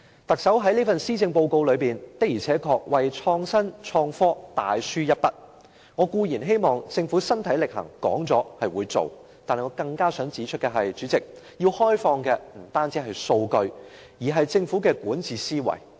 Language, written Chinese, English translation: Cantonese, 特首這份施政報告的確為創新創科大書一筆，我固然希望政府身體力行，說得出做得到，但是主席，我更想指出，政府要開放的不僅是數據，而是管治思維。, This Policy Address of the Chief Executive has indeed laid emphasis on innovation and technology . I hope that the Government will talk the talk and walk the walk but more importantly President the Government should not only open up its data it should also open up its governance mindset